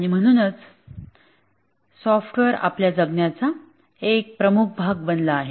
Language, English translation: Marathi, And therefore, software has become a very prominent part of our living